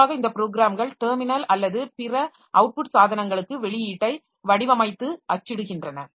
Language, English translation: Tamil, Typically, these programs format and print the output to the terminal or other output devices